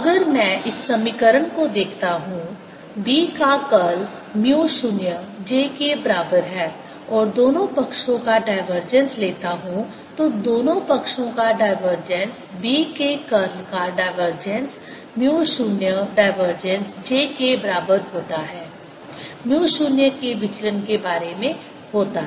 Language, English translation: Hindi, if i look this equation, curl of b is equal to mu naught j and take the divergence on both sides, divergence of both sides, divergence of curl of b is equal to divergence of mu zero, a mu zero, divergence of j